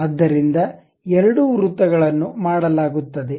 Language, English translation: Kannada, So, two circles are done